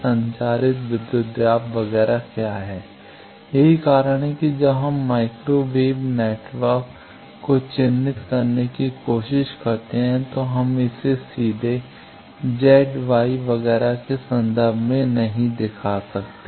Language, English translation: Hindi, What is the transmitted voltage, etcetera, that is why when we try to characterize in microwave network, we cannot characterize it directly in terms of Z Y etcetera